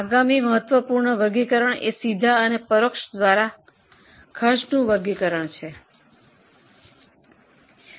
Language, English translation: Gujarati, Now next important classification is cost classification by direct and indirect